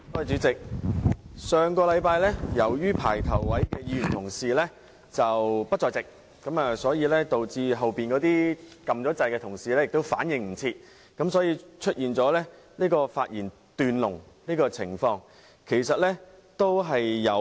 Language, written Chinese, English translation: Cantonese, 主席，上星期由於排在前面發言的議員不在席，導致後面已按"要求發言"按鈕的同事來不及反應，因而出現了發言"斷龍"的情況。, Chairman last week as Members who were lined up to speak early were not present Members who had pressed the Request to speak button failed to respond in time and thus the debate was severed